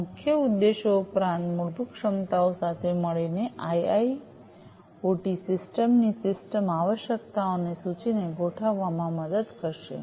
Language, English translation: Gujarati, So, these key objectives plus the fundamental capabilities together would help in driving the listing of the system requirements of the IIoT system to be deployed